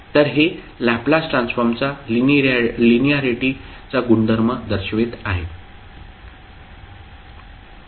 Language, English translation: Marathi, So this will be showing the linearity property of the Laplace transform